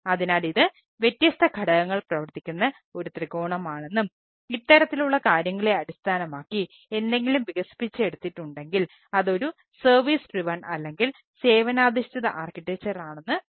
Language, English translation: Malayalam, so you can find that this is a triangle where different component works and if anything is developed based on this type of things, what we say that it is a service driven or service oriented architecture